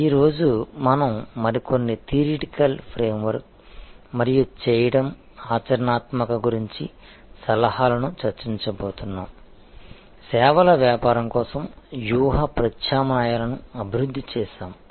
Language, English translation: Telugu, Today, we are going to discuss a few more theoretical frame work and practical suggestions about doing, developing the strategy alternatives for a services business